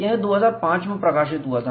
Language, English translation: Hindi, This was published in 2005